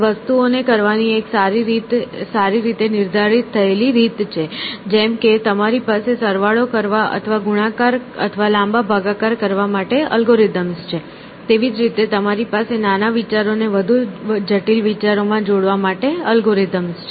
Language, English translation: Gujarati, Is that there is a well defined way of doing things essentially, well defined mechanical way of just like you have algorithms for adding or doing long division or multiplication, you have a algorithms for combining smaller ideas into more complex one